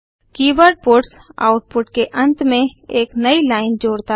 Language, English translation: Hindi, The keyword puts adds a newline to the end of the output